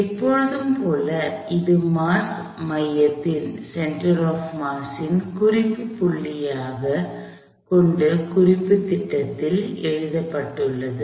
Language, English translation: Tamil, Like always, this is written in the frame of reference with the center of mass being the reference point